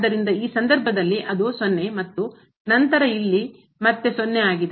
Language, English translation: Kannada, So, in this case it is a 0 and then here it is again 0